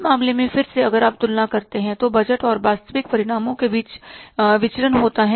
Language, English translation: Hindi, In that case again if you compare then there is a variance between the budgeted and the actual results